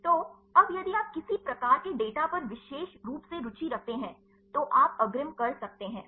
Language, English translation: Hindi, So, now if you are specifically interested on any type of data, then you could advances